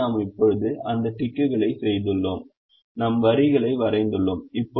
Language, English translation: Tamil, so we have now made that ticks and we have drawn the lines